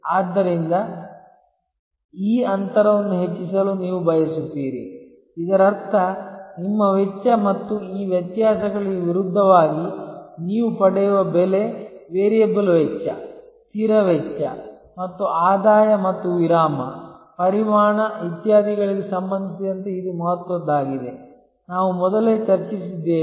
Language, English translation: Kannada, So, you would like to maximize this gap; that means, the price that your getting versus your cost and these differences are variable cost, fixed cost and the revenue and it is importance with respect to the break even, volume, etc, we discussed earlier